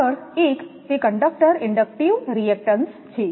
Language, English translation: Gujarati, Next one is that conductor inductive reactance